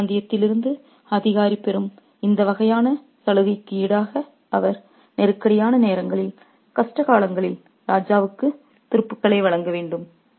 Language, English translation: Tamil, And in return for this sort of privilege that the official receives from that region, he has to offer troops to the king at times of trouble, at times of crisis